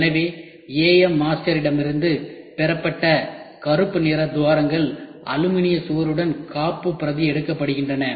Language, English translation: Tamil, So, the cavities which are black obtained from AM master backed up system with an aluminium wall